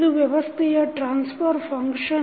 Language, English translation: Kannada, Now, this is the transfer function of the system